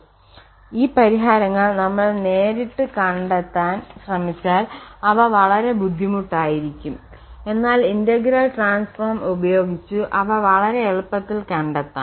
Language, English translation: Malayalam, And directly if we try to get those solutions there will be very difficult but with the help of the integral transforms they will become very easy